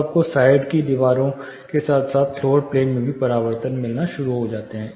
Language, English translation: Hindi, So, you start getting reflections from the side walls plus the floor plane